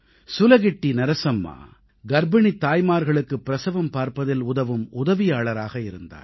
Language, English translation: Tamil, SulagittiNarsamma was a midwife, aiding pregnant women during childbirth